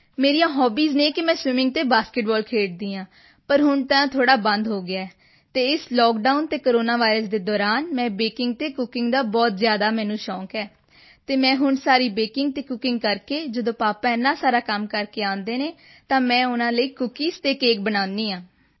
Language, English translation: Punjabi, My hobbies are swimming and basketball but now that has stopped a bit and during this lockdown and corona virus I have become very fond of baking and cooking and I do all the baking and cooking for my dad so when he returns after doing so much work then I make cookies and cakes for him